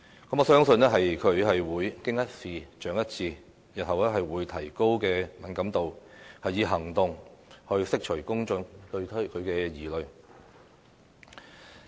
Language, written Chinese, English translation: Cantonese, 我相信，她會"經一事，長一智"，日後會提高敏感度，以行動去釋除公眾對她的疑慮。, She should not be punished by being beheaded . I believe that she will learn from her mistakes raise her sensibility in the future and take actions to dispel public suspicions about her